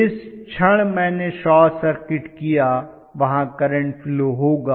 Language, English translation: Hindi, The moment I short circuited there will be a current flow